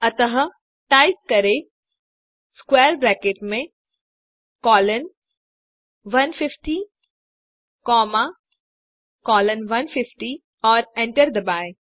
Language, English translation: Hindi, So type C within square bracket 1 comma 1 colon 3 and hit enter